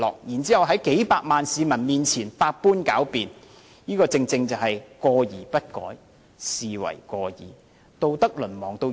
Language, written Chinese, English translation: Cantonese, 然後在數百萬名市民面前百般狡辯，這正是"過而不改，是謂過矣"。, Afterwards they indulged in sophistry in front of millions of people in Hong Kong . This is exactly To have faults and not to reform them―this indeed should be pronounced having faults